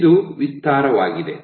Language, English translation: Kannada, So, this is expansive